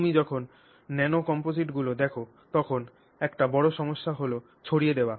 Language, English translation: Bengali, So, when you look at nano composites, one major issue is that of dispersion